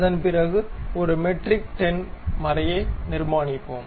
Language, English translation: Tamil, After that we will go construct a metric 10 thread